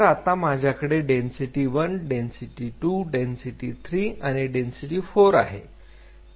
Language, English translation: Marathi, So, then I get density one density two density 3 and density 4